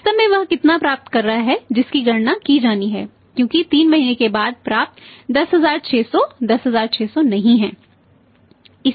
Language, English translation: Hindi, How much actually is getting that has to be calculated because say say say 11 10600 received after 3 months is not 10600